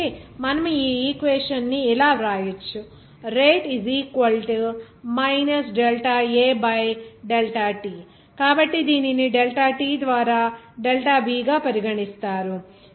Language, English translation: Telugu, So, we can write this equation as So, it will be regarded as delta B by delta t